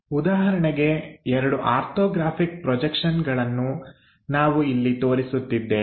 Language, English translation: Kannada, For example, here two orthographic projections we are showing